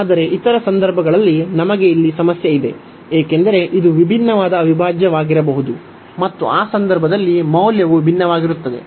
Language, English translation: Kannada, So, but in other cases we have the problem here, because this might be a divergent integral and this might be the divergent integral and in that case the value will differ